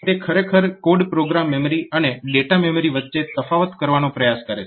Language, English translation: Gujarati, So, it is actually trying to distinguish between code program memory and data memory